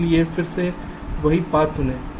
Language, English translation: Hindi, so again, choose the same path